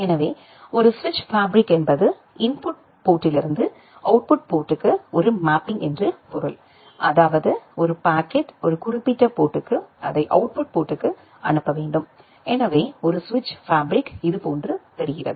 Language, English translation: Tamil, So, a switch fabric means it is a mapping from input ports to output ports; that means, if a packet is a make input to a particular port in which output port it needs to be forwarded to, so a switch fabric looks something like this